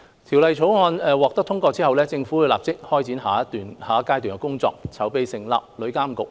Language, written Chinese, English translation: Cantonese, 《條例草案》獲得通過後，政府會立即展開下一階段的工作，籌備成立旅監局。, After the passage of the Bill the Government will immediately commence its work for the next stage to establish TIA